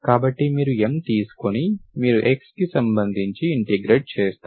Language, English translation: Telugu, M, you are keeping y as it is, you are integrating only with respect to x, you can see this